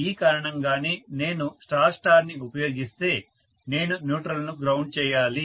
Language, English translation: Telugu, And that is the reason why, if I use the star star either I have to ground the neutral